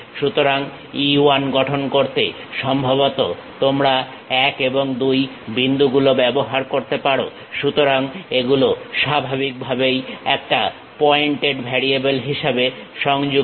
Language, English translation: Bengali, So, to construct E 1 perhaps you might be using 1 and 2 points; so, these are naturally connected as a pointed variables